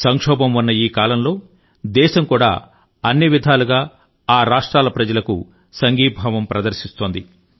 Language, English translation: Telugu, In this hour of crisis, the country also stands in unison with the people of these two states in every manner whatsoever